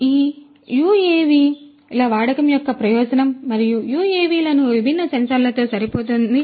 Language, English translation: Telugu, So, this is an advantage of the use of UAVs and fit these UAVs with these different sensors